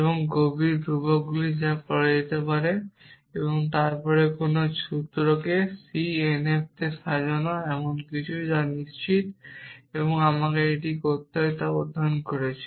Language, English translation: Bengali, And the solemn constants that can be done and then re arranging any formula into c n f is something that I am sure you have studied how to do that